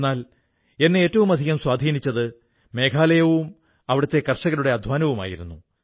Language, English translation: Malayalam, But one thing that impressed me most was Meghalaya and the hard work of the farmers of the state